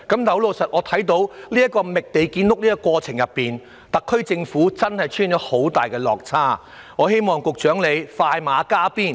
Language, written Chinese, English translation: Cantonese, 可是，在覓地建屋的過程中，特區政府的工作確實出現很大落差，希望局長能快馬加鞭。, Nevertheless in the course of identifying land for housing production the SAR Government is really lagging far behind and I hope the Secretary will try hard to expedite the process